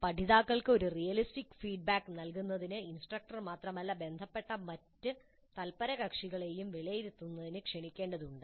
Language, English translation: Malayalam, And in order to give a realistic feedback to the learners, it may be necessary that not only the instructor but other concerned stakeholders may also be invited to assess and communicate this to the students upfront